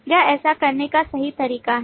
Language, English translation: Hindi, This is the correct way of doing that